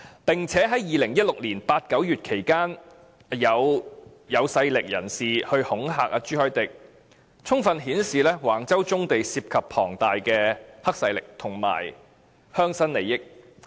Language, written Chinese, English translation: Cantonese, 在2016年8月至9月期間，有具勢力的人士恐嚇朱凱廸議員，充分顯示橫洲棕地涉及龐大的黑勢力及鄉紳利益。, During the period from August to September 2016 some powerful persons intimated Mr CHU Hoi - dick; evidently the brownfield sites at Wang Chau involved huge triad strengths and the interests of the rural leaders